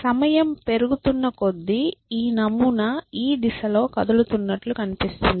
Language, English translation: Telugu, So, as the time progresses this pattern will appear to be moving in this direction